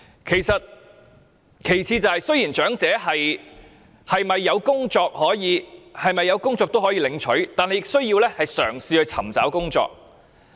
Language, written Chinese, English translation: Cantonese, 其次，雖然無論長者是否有工作也可以領取補助金，但亦需要嘗試尋找工作。, Besides although elderly people may receive the supplement with or without a job they are required to try to seek employment